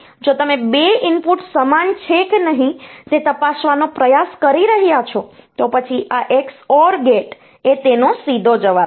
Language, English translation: Gujarati, So, if you are trying to check whether 2 inputs are same or not, then this XOR gate is the straightaway the answer